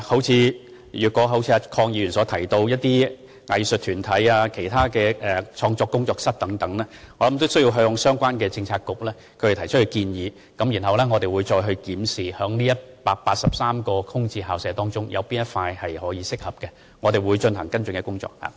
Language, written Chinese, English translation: Cantonese, 就着鄺議員提到的藝術團體，或其他創作、工作室等用途，我想亦應先向相關政策局提出建議，然後我們會檢視在該183間空置校舍中有否任何合適的選擇，再進行跟進工作。, Regarding the use of such sites by arts groups or for other creative or workshop purposes as mentioned by Mr KWONG I think the relevant proposals should first be submitted to the relevant bureau for consideration . Subject to its agreement we will then review whether any of the 183 VSPs may be suitable for the purpose before other follow - up actions are taken